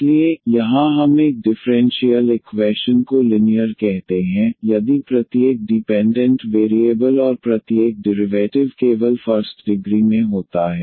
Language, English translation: Hindi, So, here we a differential equation is called linear, if every dependent variable and every derivative occurs in the first degree only